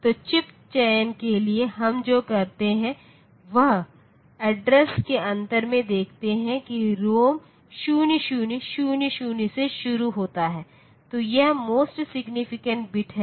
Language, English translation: Hindi, So, for the chip selection what we do that see you look into the difference in the address that the ROM starts at 0000, so, it the most significant bit